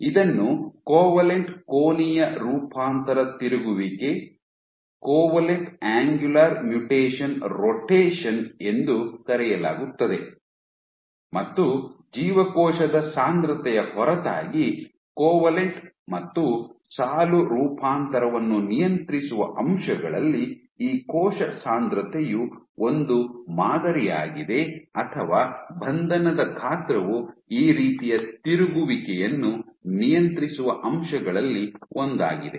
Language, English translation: Kannada, So, this is called covalent angular mutation rotation and what you see, so this, cell density is one of the factors which regulates covalent and row mutation apart from cell density just this size of the pattern or confinement size is also one of the factors which regulates this kind of rotation